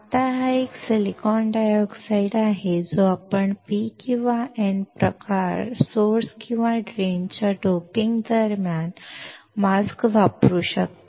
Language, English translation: Marathi, Now, this is a silicon dioxide that that you can use the mask during the doping of P or N type source or drain